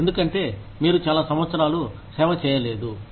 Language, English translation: Telugu, Because, you have not served for so many years